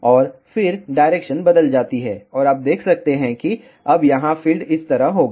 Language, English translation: Hindi, And, then the direction changes and you can see that now the field will be like this here